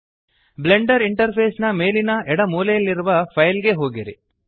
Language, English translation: Kannada, Go to File at the top left corner of the Blender interface